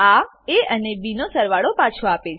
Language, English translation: Gujarati, It returns sum of a and b